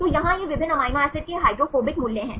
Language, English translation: Hindi, So, here these are the hydrophobic values of different amino acids